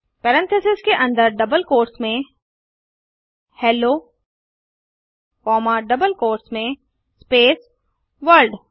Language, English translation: Hindi, Within parentheses in double quotes Hello comma in double quotes space World